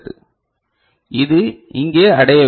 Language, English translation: Tamil, So, this should be over here right